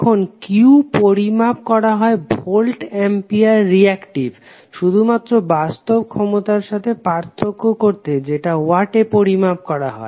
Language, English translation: Bengali, Now Q is measured in voltampere reactive just to distinguish it from real power P which is measured in watts